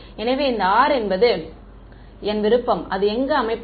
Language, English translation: Tamil, So, this r over here, it is my choice where to set it